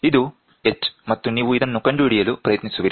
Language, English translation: Kannada, This is the h and you try to find out